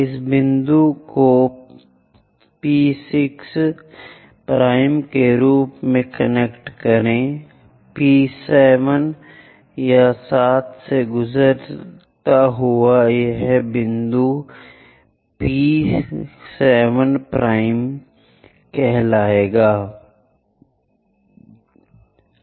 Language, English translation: Hindi, Connect this point as P6 prime, P7 it pass via 7 it intersects this point call this one P7 prime and P8 anyway here